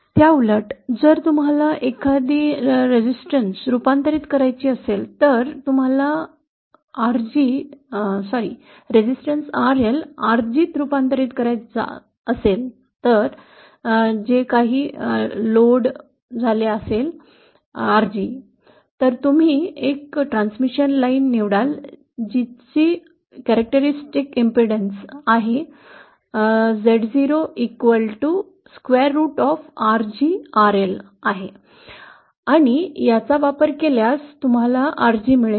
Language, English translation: Marathi, Conversely, if you want to convert any impedance say you want to convert resistance RG sorry resistance RL connected at the load to some value RG then you choose a transmission line which a characteristic impedance square root of RL RG and using this, you will get RG is equal to Zo square upon RL